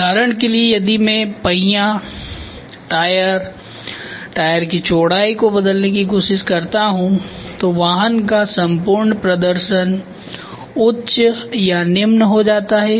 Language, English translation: Hindi, For example, if I try to change the wheel, the tyre, the width of the tyre then the entire performance of the vehicle goes higher or lower